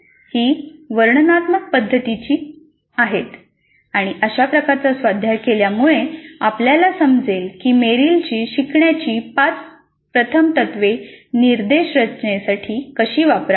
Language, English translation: Marathi, It is prescriptive in nature and doing this kind of an exercise would help us to understand how to use Merrill's five first principles of learning in order to design instruction